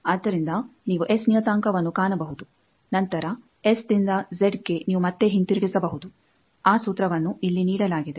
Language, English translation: Kannada, So, you can find S parameter then S 2 Z you can reconvert back that formula is given here